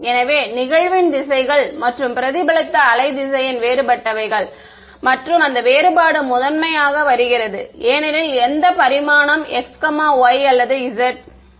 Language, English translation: Tamil, So, the directions of the incident and the reflected wave vector are different and that difference is primarily coming because of which dimension x, y or z